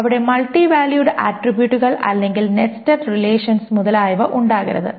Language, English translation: Malayalam, There should not be any multivalued attributes or nested relations, etc